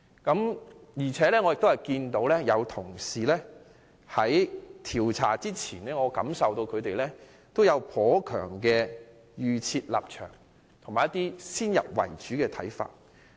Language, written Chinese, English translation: Cantonese, 不過，我感到有些同事在調查前已有頗強的預設立場和先入為主的看法。, However I find that some colleagues already have a rather strong predetermined position and preconceived views before the commencement of the inquiry